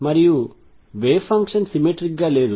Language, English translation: Telugu, And the wave function is not symmetric